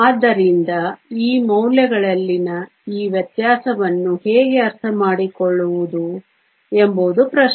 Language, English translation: Kannada, So, the question is how to understand this difference in these values